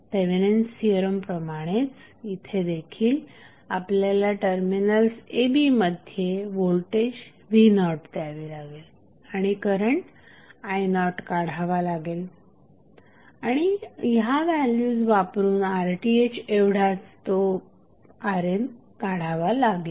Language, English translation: Marathi, We have to again as we did in case of Thevenin's theorem here also we will apply voltage v naught at the terminals of a, b and determine the current i naught and using these value we can easily find out the value of R N which is nothing but equal to R Th